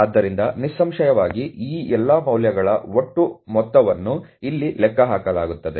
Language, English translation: Kannada, So obviously, the total is calculated here of all these values